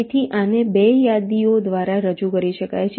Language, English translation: Gujarati, so this can be represented by two lists, top and bottom